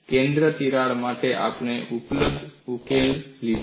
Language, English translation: Gujarati, For the center crack, we took up the available solution